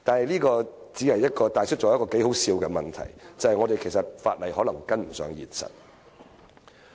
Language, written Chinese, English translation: Cantonese, 這帶出了一個頗為可笑的問題，就是我們的法例可能追不上現實。, This brings out a rather laughable problem which is that our legislation may have failed to keep up with reality